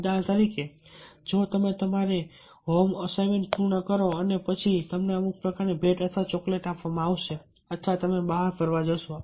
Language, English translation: Gujarati, for example, if you complete your home assignment, home work, and then ah, you will be given some sort of, you know some gifts or chocolates, or shall we going for outings